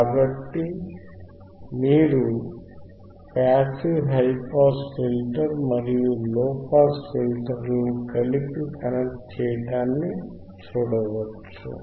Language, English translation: Telugu, So, you can see the passive high pass filter and low pass filter these are connected together